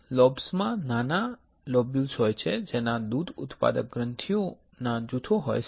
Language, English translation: Gujarati, The lobes consist of smaller lobules that contain groups of tiny milk producing glands